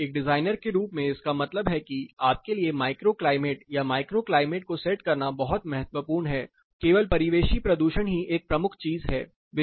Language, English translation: Hindi, So, as a designer what this means to you micro climate or setting up the micro climate is very crucial, not just ambient pollution alone is a major thing